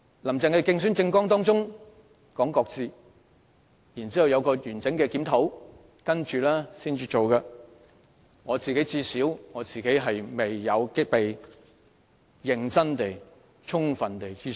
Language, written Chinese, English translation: Cantonese, "林鄭"曾在競選政綱中表示會擱置有關評估，待進行完整檢討後才會實施，但最少我本人未有被認真和充分諮詢。, In her manifesto Carrie LAM said that these assessments would be shelved and that they would be conducted only after a comprehensive review but at least I myself have yet been seriously and fully consulted